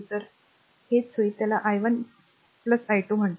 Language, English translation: Marathi, So, it will it will be your what you call i 1 plus i 2